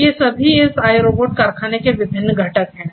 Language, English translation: Hindi, So, all of these are different components of this iRobot factory